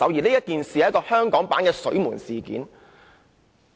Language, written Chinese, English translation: Cantonese, 這次根本是香港版本的"水門事件"。, This present case is indeed the Watergate incident of Hong Kong